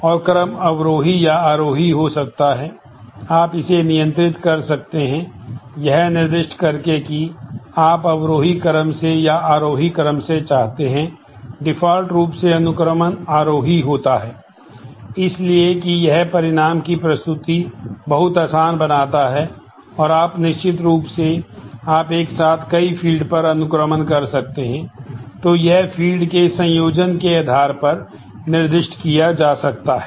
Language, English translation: Hindi, And the ordering can be descending or ascending, you can control that, by specifying whether you want descending or ascending by default the ordering is ascending